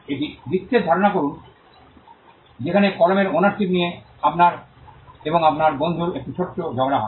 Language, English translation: Bengali, Assume a scenario, where you and your friend have a small tussle with an ownership of a pen